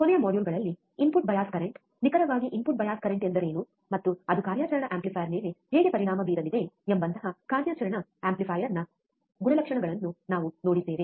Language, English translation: Kannada, In last modules, we have gone through the characteristics of an operational amplifier, such as input bias current, what exactly input bias current means, and how it is going to affect the operational amplifier